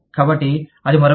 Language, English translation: Telugu, So, that is another one